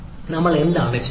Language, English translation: Malayalam, what we are trying